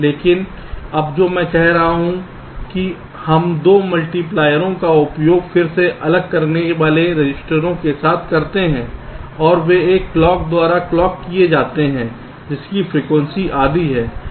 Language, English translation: Hindi, but now what i am saying is that we use two multipliers with, again, registers separating them and their clocked by by a clocked was frequency is half